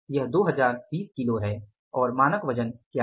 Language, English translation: Hindi, 20 kGs and what was the standard weight